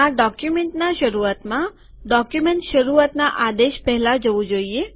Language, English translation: Gujarati, This should go to the beginning of this document before the beginning document command